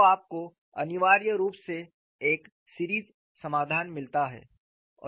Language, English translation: Hindi, So, you essentially get a series solution